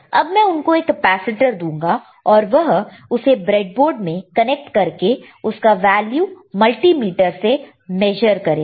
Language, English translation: Hindi, So, I will give a capacitor to him he will connect it or he will insert it in the breadboard, and then you will see the value of the capacitance on the multimeter